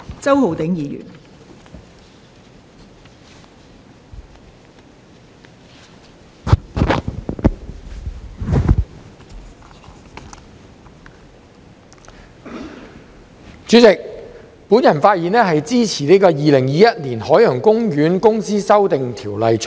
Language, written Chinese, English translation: Cantonese, 代理主席，我發言支持《2021年海洋公園公司條例草案》。, Deputy President I speak in support of the Ocean Park Corporation Amendment Bill 2021 the Bill